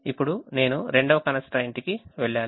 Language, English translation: Telugu, now i have to go to the second constraint